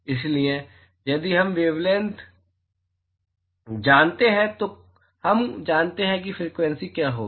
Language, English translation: Hindi, So, if we know the wavelength we know what the frequency is going to be